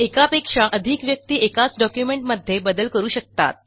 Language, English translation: Marathi, More than one person can edit the same document